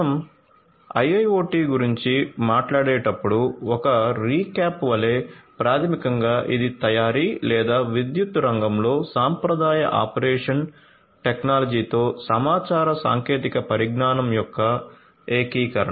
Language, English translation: Telugu, So, just as a recap when we talk about IIoT basically it is the integration of information technology with the conventional operation technology in the manufacturing or power sector